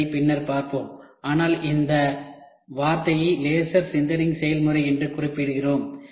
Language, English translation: Tamil, So, we will see later what is laser sintering process, but we just note down this word as laser sintering process